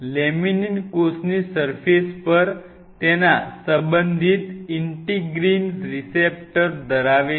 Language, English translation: Gujarati, So, laminin has its respective integral receptors on the cell surface